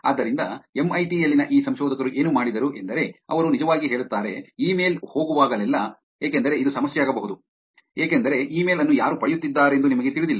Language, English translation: Kannada, So, what these researchers at MIT did was, they are actually said, okay, whenever the email is going to go, because this would, this could, be a problem also, right, because you do not know who is getting the email